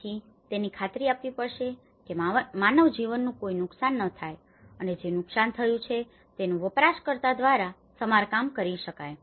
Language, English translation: Gujarati, So, it has to ensure that there is no loss of human life and the damage that the damage produced would be repaired by the user themselves